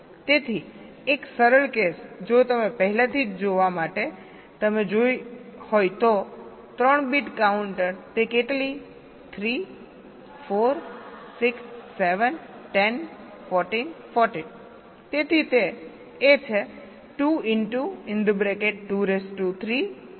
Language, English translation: Gujarati, so for a simple case, you see, see already you have seen for three bit counter it is how much three, four, six, seven, ten, fourteen, fourteen